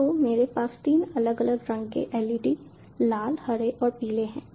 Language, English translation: Hindi, so i have three differently colored leds: red, green and yellow